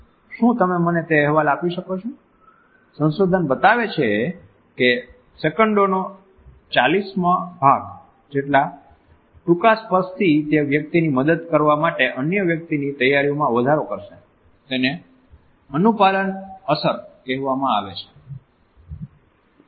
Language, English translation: Gujarati, Can you get me that report; research shows that touch as short as 140 of a second will increase that other person’s willingness to help it is called the compliance effect